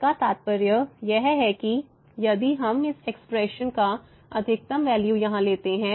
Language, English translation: Hindi, Now, this implies, so, if I we take the maximum value of this expression here